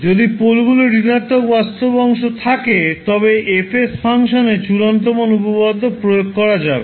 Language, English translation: Bengali, If poles are having negative real part than only you can apply the final value theorem in the function F s